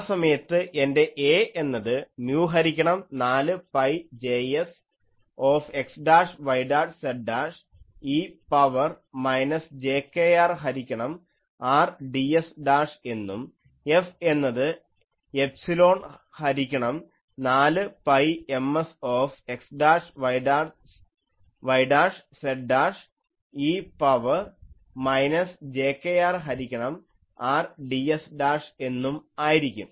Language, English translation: Malayalam, So, that time my A will be mu by 4 pi J s x dashed y dashed z dashed e to the power minus jkr by R ds dash and F will be epsilon by 4 pi Ms x dashed y dashed z dashed e to the power minus jkr by R ds dashed